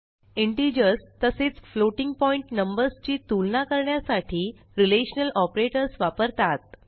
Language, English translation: Marathi, Relational operators are used to compare integer and floating point numbers